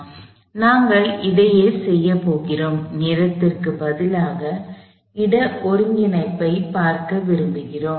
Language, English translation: Tamil, So, we going to do same thing, except instead of integrating in time, we want to look at the integration space